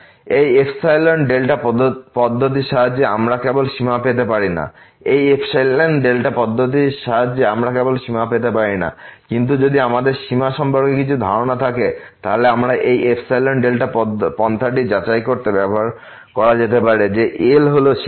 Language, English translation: Bengali, With the help of this epsilon delta approach, we cannot just get the limit; but if we have some idea about the limit, then this epsilon delta approach may be used to verify that L is the limit